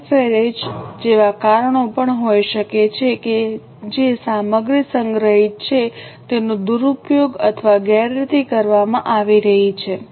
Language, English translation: Gujarati, There can also be causes like pilferage that the material which is stored is being misused or mishandled